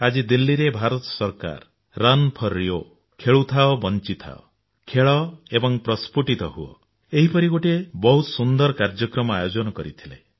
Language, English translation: Odia, In Delhi this morning, the Government of India had organised a very good event, 'Run for RIO', 'Play and Live', 'Play and Blossom'